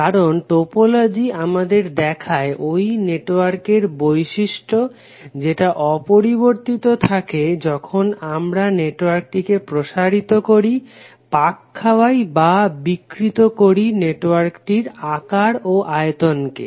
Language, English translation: Bengali, Because the topology shows us the property of the network which is unaffected when we stretch, twist or distort the size and shape of the network